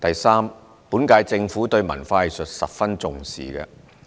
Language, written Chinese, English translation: Cantonese, 三本屆政府對文化藝術十分重視。, 3 The current - term Government attaches great importance to culture and arts